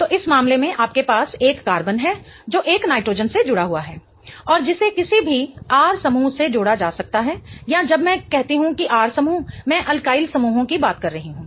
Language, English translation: Hindi, So, in this case you have a carbon attached to a nitrogen and which can be attached to any R groups or when I say R groups I'm referring to alkyl groups